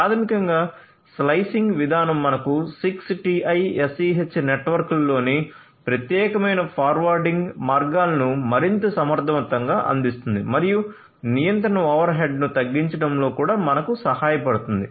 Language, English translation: Telugu, So, basically the slicing mechanism will give you dedicated forwarding paths across the 6TiSCH network in a much more efficient manner and will also help you in reducing the control overhead